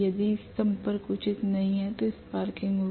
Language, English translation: Hindi, If the contact is not proper there will be sparking